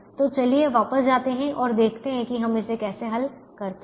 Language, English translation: Hindi, so let's go back and see how we solve this